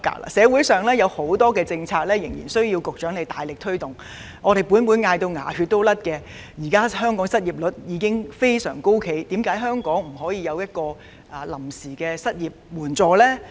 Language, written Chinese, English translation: Cantonese, 我們仍有多項政策須由局長大力推動——立法會早呼喊至"出牙血"了，香港現時的失業率相當高，為何政府不能推出臨時的失業援助計劃呢？, We still have a number of policies that need to be taken forward vigorously by the Secretary―the Legislative Council has made strenuous effort to tell the Government that the unemployment rate in Hong Kong is exceptionally high but why can the Government not introduce a temporary unemployment assistance scheme?